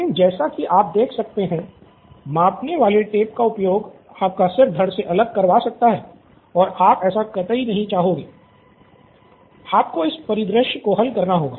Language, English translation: Hindi, But as you can see, use the measuring tape off goes your head and you don’t use measuring tape off goes your head, you have to solve this scenario